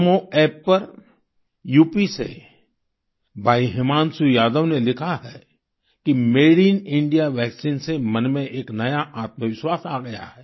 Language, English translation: Hindi, On NamoApp, Bhai Himanshu Yadav from UP has written that the Made in India vaccine has generated a new self confidence within